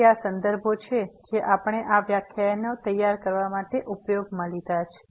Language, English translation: Gujarati, So, these are references we have used to prepare these lectures